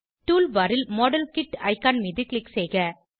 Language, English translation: Tamil, Click on the modelkit icon in the tool bar